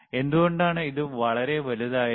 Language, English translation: Malayalam, Why it is so bulky